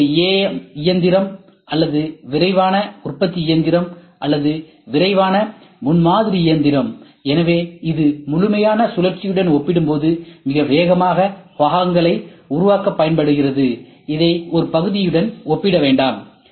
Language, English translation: Tamil, This is a AM machine or rapid manufacturing machine or rapid prototyping machine, so which is used for building parts very fast very fast as compared to the complete cycle, do not compare it with a single part